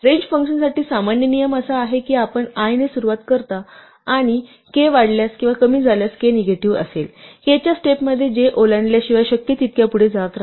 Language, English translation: Marathi, The general rule for the range function is that you start with i and you increment or decrement if k is negative, in steps of k such that you keep going as far as possible without crossing j